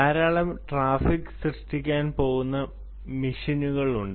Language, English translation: Malayalam, it is the machines which are going to consume a lot of traffic